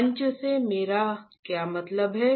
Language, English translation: Hindi, What I mean by stage